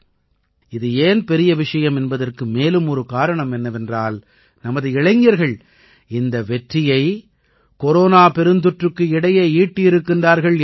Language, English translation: Tamil, This is also a big thing because our youth have achieved this success in the midst of the corona pandemic